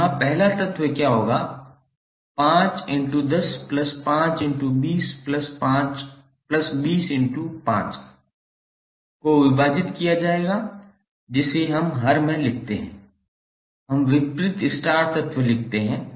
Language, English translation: Hindi, So here what would be the first element, 5 into 10 plus 10 into 20 plus 20 into 5 divided by what we write in the denominator, we write the opposite star element